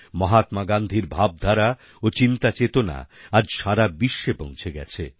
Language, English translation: Bengali, Mahatma Gandhi's philosophy has inspired the whole world